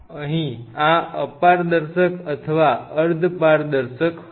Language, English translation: Gujarati, Here this was opaque or translucent